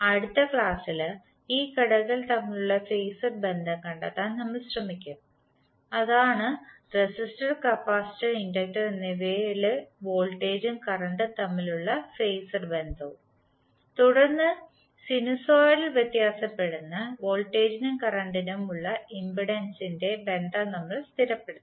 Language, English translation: Malayalam, So in next class we will try to find out the phasor relationship between these elements, that is the voltage and current phasor relationship for resistor, capacitor and inductor and then we will stabilize the relationship of impedance for the sinusoidal varying voltage and current